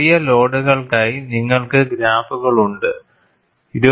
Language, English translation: Malayalam, You have graphs for smaller loads, 22